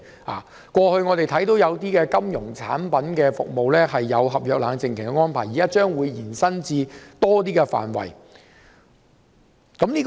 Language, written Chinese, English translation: Cantonese, 我們過去看到有些金融產品服務設有合約冷靜期的安排，現在將延伸至更多範圍。, Previously the arrangement of a cooling - off period has been imposed on the contracts of some financial product services and this will now be extended to cover more areas